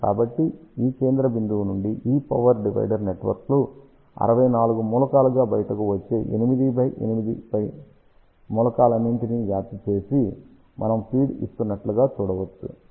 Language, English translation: Telugu, So, we can see that from this central point all these power divider networks are spreading and feeding all the 8 by 8 elements which comes out to be 64 element